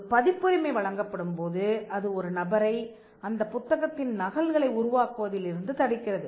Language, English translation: Tamil, If a copyright is granted for a book, it stops a person from making copies of that book